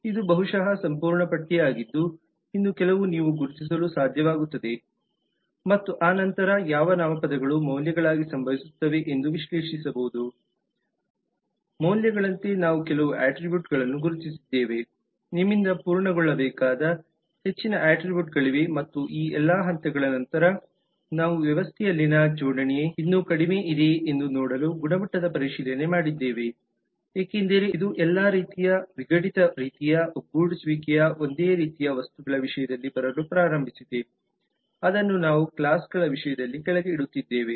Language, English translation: Kannada, this is possibly the complete list there maybe few more which you may be able to identify and then analyzing as to which nouns just occur as values we identified some of the attributes of course there are lot more attributes which need to be completed by you and with all this after the stages we quality check to see that the coupling in the system is still low because it all disintegrated kind of some kind of cohesion has started coming up in terms of similar items which we are putting down in terms of classes